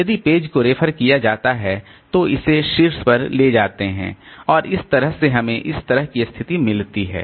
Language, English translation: Hindi, If the page is referenced in the move it to the top and then so that way we have got a situation like this